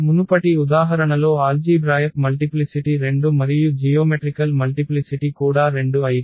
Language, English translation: Telugu, In the previous example though the algebraic multiplicity was 2 and the geometric multiplicity was also 2